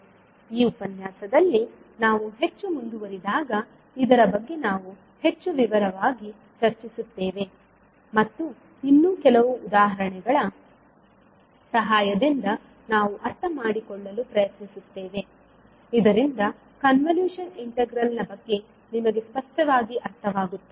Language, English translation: Kannada, So we will discuss more in detail when we will proceed more in this particular lecture and we will try to understand with help of few more examples so that you are clear about the meaning of convolution integral